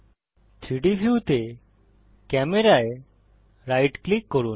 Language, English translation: Bengali, Right click Camera in the 3D view